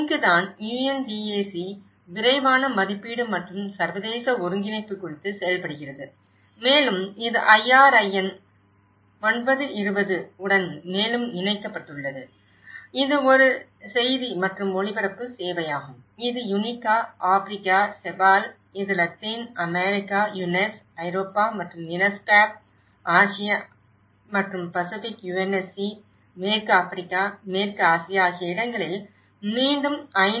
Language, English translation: Tamil, And this is where the UNDAC works on the rapid assessment and international coordination on site and this further linked ups with the IRIN 9:20 which is a news and the broadcasting service and this is where again it is communicating to the UN regional agencies, whether it is UNICA; Africa, CEPAL; which is Latin America, UNECE; Europe and UNESCAP; Asia and Pacific UNSC; western Africa, so Western Asia sorry, so this is how this whole complexity in the UN Disaster Response system has been laid out